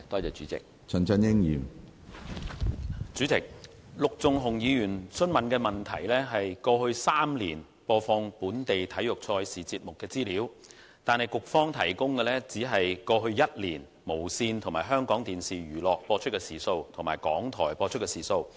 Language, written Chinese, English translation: Cantonese, 主席，陸頌雄議員提出的質詢，是有關過去3年播放本地體育賽事節目的資料，但是，局方只提供過去1年無綫電視、香港電視娛樂及港台播放體育節目的時數。, President Mr LUK Chung - hungs question asks for information about the broadcasting of programmes on local sports events over the past three years but the Bureau provides only information about the numbers of hours devoted by TVB HKTVE and RTHK to the broadcasting of sports programmes in the past one year